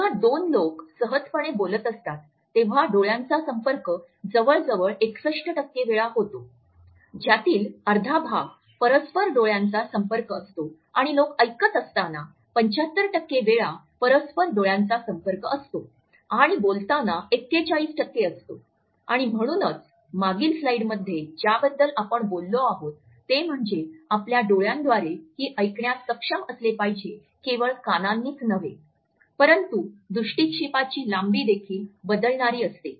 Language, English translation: Marathi, When two people are talking in a casual manner eye contact occurs about 61% of the time about half of which is mutual eye contact and people make eye contact 75% of the time while they are listening and 41% of the time while speaking and that is why in one of the previous slides we have talked about, that we should be able to listen through our eyes and not only through our ears, but the length of the gaze also varies